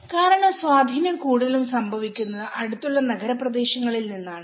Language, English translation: Malayalam, Because most of the influence happens from the nearby urban areas